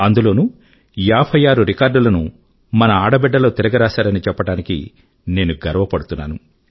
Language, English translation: Telugu, And I am proud that of these 80 records, 56 were broken by our daughters